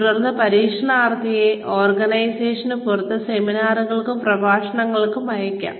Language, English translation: Malayalam, Then, trainees may be sent, outside the organization, for seminars and lectures